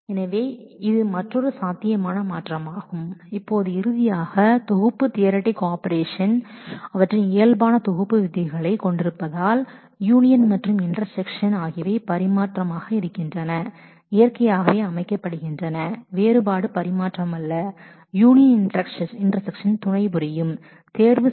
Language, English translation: Tamil, So, this is another possible transformation that now finally, the set theoretic operations have their normal set rules so, union and intersection are commutative, naturally set difference is not commutative, union intersection are associative as well